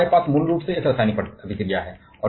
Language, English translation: Hindi, Now, there we have basically a chemical reaction